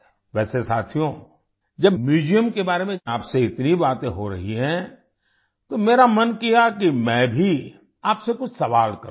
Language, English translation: Hindi, By the way, friends, when so much is being discussed with you about the museum, I felt that I should also ask you some questions